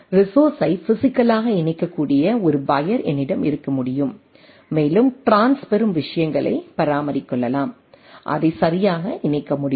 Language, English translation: Tamil, I can have a wire which can physically connect the resource and I can have a say swap of the trans receive things and it can be connected right